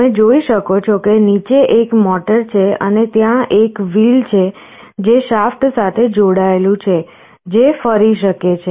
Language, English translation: Gujarati, You can see there is a motor down below and there is a wheel that is connected to the shaft, which can rotate